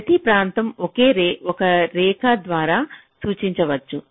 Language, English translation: Telugu, we can simply represent each of the regions by a single line